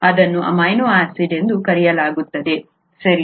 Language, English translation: Kannada, This is called an amino acid, right